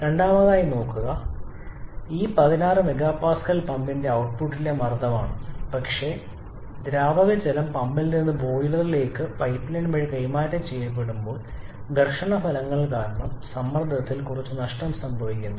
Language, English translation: Malayalam, Secondly look at this 16 MPa is the pressure at the outlet of the pump, but when the liquid water gets transferred from the pump to the boiler through the pipeline because of the frictional effects there is some loss in pressure